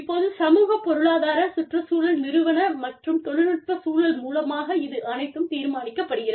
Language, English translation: Tamil, Now, all of this is being determined, by the socio economic ecological institutional and technological context